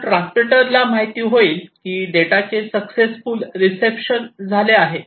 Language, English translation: Marathi, So, the transmitter knows that there has been a successful reception